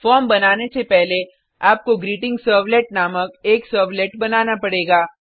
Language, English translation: Hindi, Before creating the form you will have to create a servlet named GreetingServlet